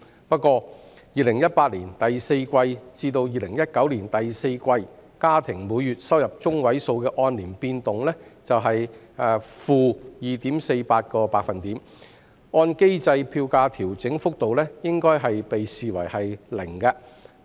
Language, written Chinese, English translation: Cantonese, 不過 ，2018 年第四季至2019年第四季家庭每月收入中位數的按年變動為 -2.48%， 按機制票價調整幅度應視為 0%。, However as the year - on - year change in Median Monthly Household Income value in the fourth quarter of 2019 compared to the same period in 2018 is - 2.48 % the fare adjustment rate should be deemed as 0 % according to the mechanism